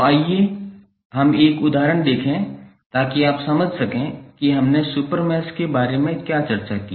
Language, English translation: Hindi, So, let us see one example so that you can understand what we discussed about the super mesh and larger super mesh